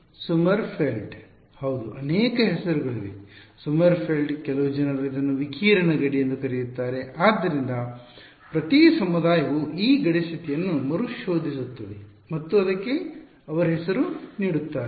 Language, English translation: Kannada, Yeah, there are many names Sommerfeld some people call it radiation boundary and so, on, Every community rediscovers this boundary condition and gives their name to it ok